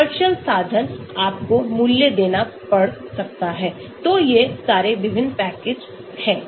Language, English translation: Hindi, commercial means, you may have to pay, so these are the various packages